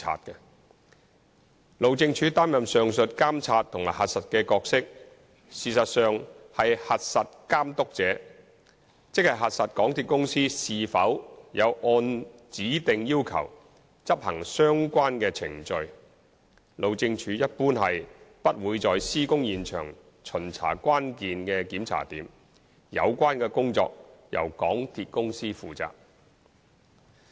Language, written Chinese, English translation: Cantonese, 但是，由於路政署擔任上述監察和核實的角色，實質上是"核實監督者"，即核實港鐵公司是否有按指定要求執行相關的程序；路政署一般是不會在施工現場巡查關鍵檢查點，有關工作由港鐵公司負責。, However as the above monitoring and verification role that HyD is assuming is to check the checker that is verifying whether MTRCL has implemented the relevant procedures according to its specified requirements; HyD generally does not check at the hold point on site and MTRCL is responsible for such checking